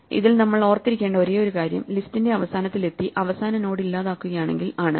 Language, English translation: Malayalam, The only thing that we have to remember in this is that if we reach the end of the list and we delete the last node